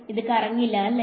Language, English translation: Malayalam, It does not swirl